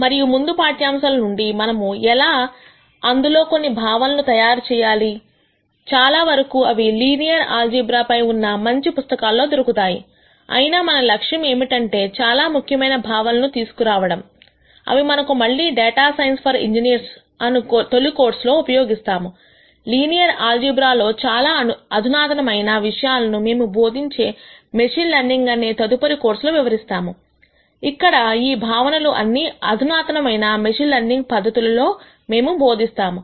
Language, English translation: Telugu, And from the previous lectures, how do we develop some of those concepts more can be found in many good linear algebra books; however, our aim here has been to really call out the most important concepts that we are going to use again and again in this first course on data science for engineers, more advanced topics in linear algebra will be covered when we teach the next course on machine learning where those concepts might be more useful in advanced machine learning techniques that we will teach